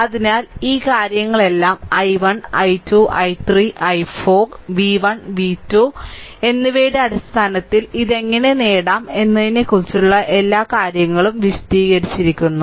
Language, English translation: Malayalam, So, all this things i 1 then i 1, i 2, i 3, i 4, all how to get it in terms of v 1 and v 2 all this things are explained